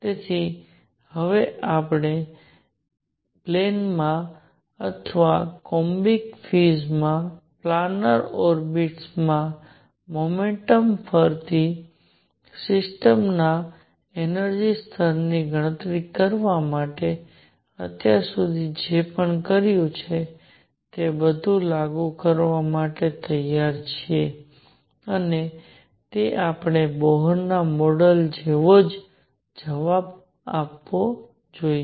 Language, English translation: Gujarati, So, now, we are now ready to apply all this that we have done so far to calculate energy levels of the system doing a motion in a plane or in a planar orbit in columbic fees and that should give us the same answer as Bohr model